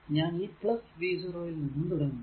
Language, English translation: Malayalam, So, I am writing from v 0